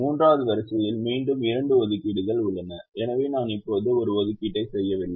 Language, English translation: Tamil, the third row again has two assignments, so i don't make an assignment right now